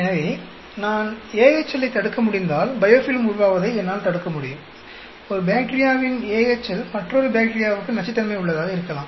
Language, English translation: Tamil, So, if I can prevent AHL, I may be able to prevent the biofilm formation, the AHL of one bacteria could be toxic to another bacteria